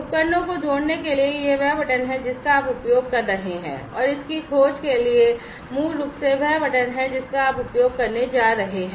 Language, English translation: Hindi, For adding devices, this is the button that you will be using and for discovering this is basically the button that you are going to use